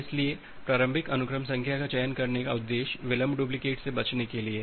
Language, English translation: Hindi, So, while choosing the initial sequence number the objective is to avoid the delayed duplicate